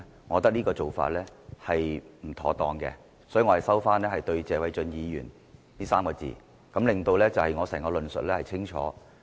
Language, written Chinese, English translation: Cantonese, 我覺得這個做法是不妥當的，所以我收回"謝偉俊議員"這3個字，以便令我整個論述變得更清楚。, I believe this is inappropriate . Therefore I withdraw the three words Mr Paul TSE as so to make my overall argument clear